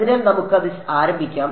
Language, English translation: Malayalam, So, let us start that